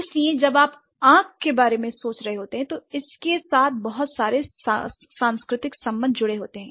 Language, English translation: Hindi, So, when you are thinking about I, it does have a lot of cultural relation associated with it